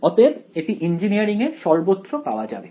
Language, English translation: Bengali, So, it is found throughout engineering